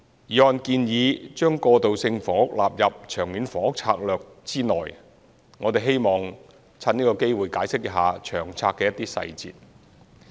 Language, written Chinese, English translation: Cantonese, 議案建議將過渡性房屋納入《長策》之內，我們希望藉此機會解釋一下《長策》的一些細節。, The motion suggests including transitional housing in LTHS and we would like to take this opportunity to explain some details of LTHS